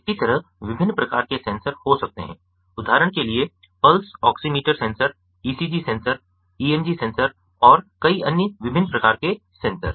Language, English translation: Hindi, there can be likewise different other types of sensors, for example pulse oximeter sensor, ecg sensor, emg sensor and many other different types of sensors